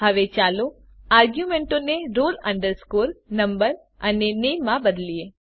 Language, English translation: Gujarati, Now, let me change the arguments to roll number and name itself